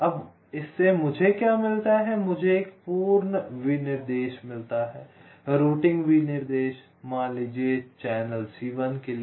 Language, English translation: Hindi, now, from this what i get, i get a complete specification, routing specification i mean for, let say, channel c one